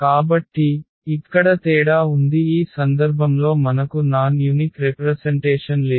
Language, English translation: Telugu, So, that was the difference here and now in this case we have a non unique representation